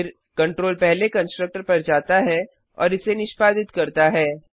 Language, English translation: Hindi, Then, the control goes to the first constructor and executes it